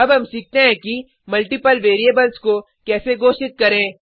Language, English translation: Hindi, let us learn how to declare multiple variables